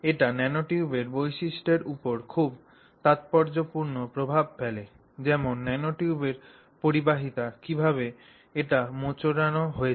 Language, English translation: Bengali, Things like conductivity of the nanotube are often associated with aspects of how it has been twisted